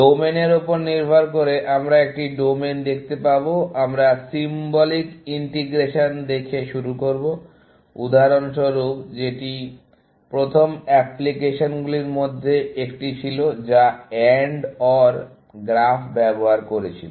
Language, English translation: Bengali, Depending on the domain, we will see a domain; we will start with looking at symbolic integration, for example, which was one of the first applications, which used AND OR graphs